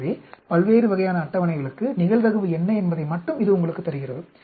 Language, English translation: Tamil, You can find out what is the probability of getting this type of table